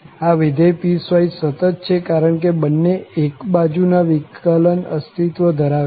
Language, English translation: Gujarati, This function is piecewise continuous because both, one sided derivatives exist